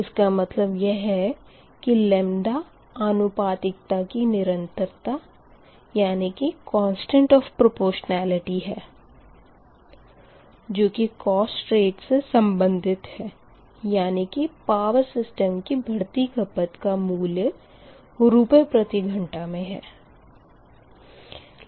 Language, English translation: Hindi, this thus lambda is the constant of proportionality relating to cost rate increase, that is, rupees per hour to increase in system power demand, right